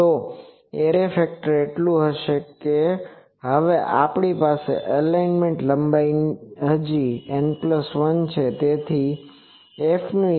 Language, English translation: Gujarati, So, array factor will be so, now our element length is still N plus one